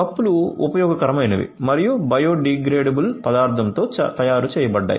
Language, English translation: Telugu, So, the cups are usable and made with biodegradable material